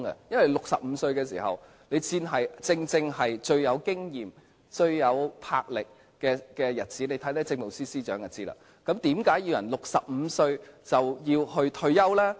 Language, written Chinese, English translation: Cantonese, 因為65歲正正是最富經驗、最有魄力的日子，看看政務司司長便會知道，那為何要人65歲便退休呢？, You will understand what I mean if you look at the Chief Secretary for Administration . So why is it necessary to set the retirement age of Judges at 65?